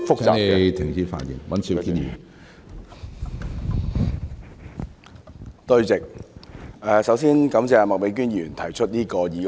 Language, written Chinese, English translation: Cantonese, 主席，首先感謝麥美娟議員提出這項議案。, President before all else I thank Ms Alice MAK for proposing this motion